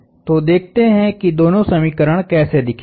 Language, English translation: Hindi, We still need two more equations